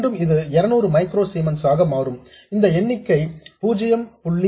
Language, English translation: Tamil, Again this will turn out to be 200 microzimans times this number is 0